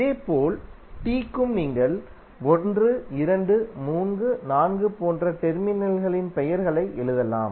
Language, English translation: Tamil, And similarly for T also, you can write the names of the terminals like 1, 2, 3, 4